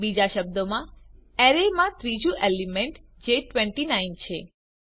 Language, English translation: Gujarati, In other words, the third element in the array i.e.29